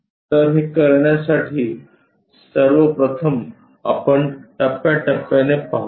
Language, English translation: Marathi, So, to do that, first of all let us look at step by step